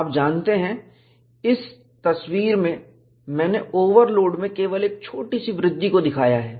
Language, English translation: Hindi, You know, in the picture, I have shown only a smaller increase, in the overload